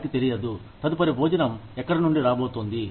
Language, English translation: Telugu, They do not know, where the next meal is, going to come from